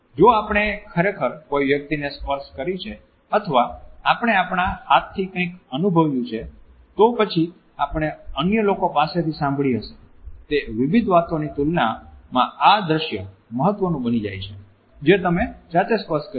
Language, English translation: Gujarati, If we have actually touched something or we have experienced something with our hands, then this becomes a significant interpretation of the scenario in comparison to various versions which we might have heard from others